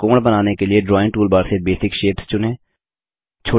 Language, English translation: Hindi, To draw a triangle, select Basic shapes from the Drawing toolbar